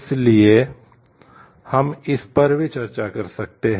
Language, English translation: Hindi, So, we can discuss it that way also